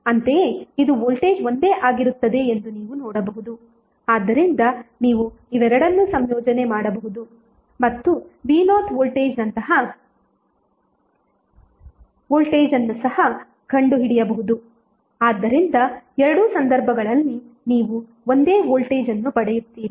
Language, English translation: Kannada, Similarly, you can also see that is voltage across this would be same so you can club both of them and find out also the voltage V Naught so, in both of the cases you will get the same voltage